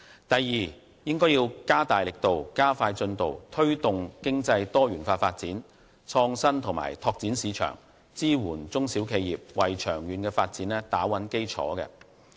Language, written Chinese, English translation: Cantonese, 第二，加大力度，加快進度，推動經濟多元化發展、創新和拓展市場，支援中小企業，為長遠發展打穩基礎。, Secondly greater and faster effort should be made to promote diversified economic development as well as innovation and market development and provide support for SMEs so that a solid foundation can be laid down for the long - term development of Hong Kong